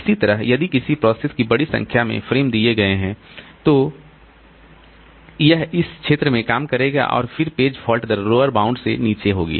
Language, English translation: Hindi, Similarly, if a process has been given large number of frames, then it will be operating in this region and then the page fault rate will be below the lower bound